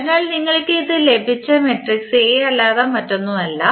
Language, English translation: Malayalam, So, this is nothing but the matrix A we have got